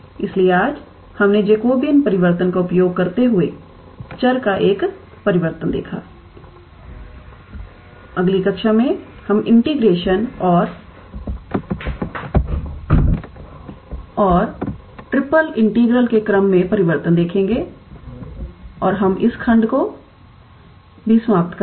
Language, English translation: Hindi, So, today we saw a change of variables using Jacobian transformation, in the next class we will see change of order of integration and triple integral and that we conclude this section as well